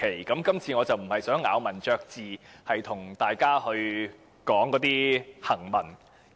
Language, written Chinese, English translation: Cantonese, 我今次並不想咬文嚼字，與大家討論行文。, This time I do not want to be pedantic about the wording and discuss with Members the writing